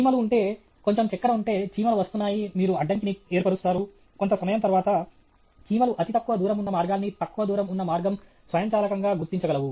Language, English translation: Telugu, If ants the are… if there some sugar, ants are coming, you place an obstruction, then after sometime the ants will figure out the least path the shortest path automatically